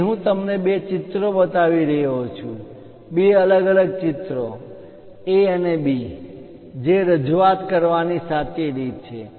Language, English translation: Gujarati, Here, I am showing you two pictures, two different pictures A and B which one is correct way of representation